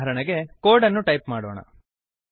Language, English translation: Kannada, For example, consider the code